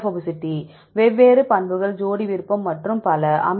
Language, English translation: Tamil, Hydrophobicity different properties pair preference and so on